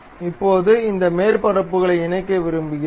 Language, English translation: Tamil, Now, we want to really mate these surfaces